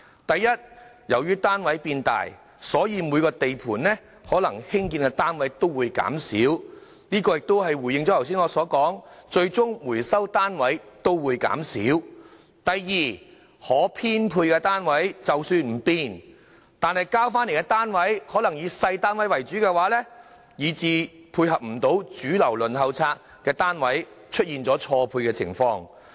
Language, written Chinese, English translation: Cantonese, 第一，由於單位變大，所以每個地盤可以興建的單位會減少，正如我剛才所說，最終回收的單位亦會減少；第二，可編配的單位即使不變，但回收單位可能也會以細單位為主，以致無法配合主流輪候冊家庭的需要，出現單位錯配。, First since flats are larger in size the numbers of flats built on each construction site will be reduced hence as I said the number of units recovered will also decrease . Second even if the number of units available for allocation remains unchanged recovered units will mainly be smaller ones leading to a mismatch between the flat supply and the demand of the majority of households on the Waiting List